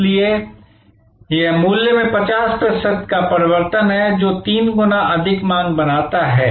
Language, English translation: Hindi, So, this is a 50 percent change in price creates 3 times more demand